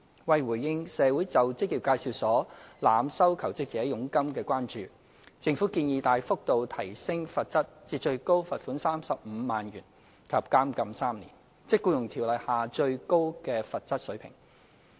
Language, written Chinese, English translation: Cantonese, 為回應社會就職業介紹所濫收求職者佣金的關注，政府建議大幅提高罰則至最高罰款35萬元及監禁3年，即《僱傭條例》下最高的罰則水平。, In response to societys concerns regarding the overcharging of jobseekers by employment agencies the Government proposes to raise substantially the maximum penalty to a maximum fine of 350,000 and imprisonment for three years same as the maximum penalty under EO